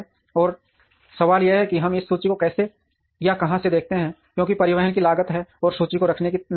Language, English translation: Hindi, And the question is how do we or where do we locate this inventory because there is a cost of transportation, and there is a cost of holding inventory